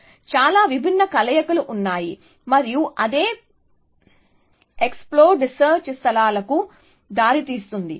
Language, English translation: Telugu, So, there are many different combinations and that is what gives rise to the exploding search spaces